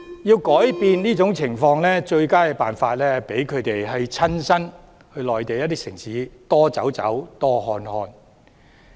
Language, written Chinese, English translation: Cantonese, 要改變這種情況，最佳辦法是讓他們親身到內地城市多走走、多看看。, The best way to change this situation is to arrange them to visit different Mainland cities to gain personal experience